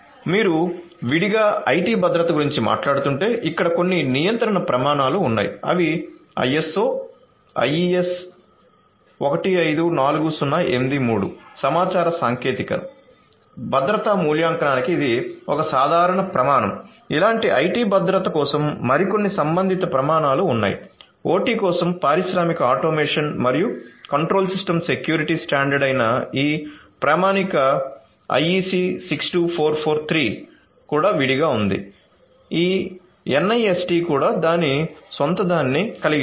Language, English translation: Telugu, So, if you are talking about separately IT security there are some regulatory standards that are there ISO IEC 154083 this is a common criteria for information technology security evaluation, like this there are few other related standards for security of IT, for OT also separately there is this standard IEC 62443 which is a an industrial automation and control system security standard like this NIST also has it’s own and so on